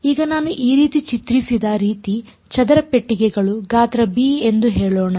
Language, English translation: Kannada, Now this the way I have drawn these are square boxes of let us say size b